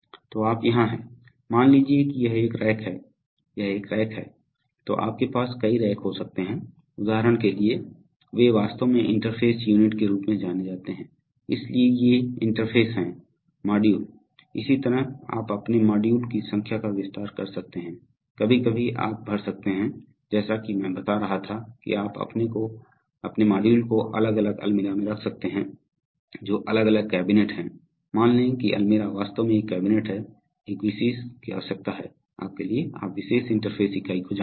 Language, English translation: Hindi, So here you are, so these are, you know this is one rack let us say, this is one rack then you can have several racks, for example, so they are actually connected by what are known as interface units, so these are interface modules, similarly, so you can expand your number of modules, sometimes you can put, as i was telling that, you can put your modules in a different Almirah which is different cabinet, let's say almirah actually is a cabinet, so for that you need to have a special, you know special interface unit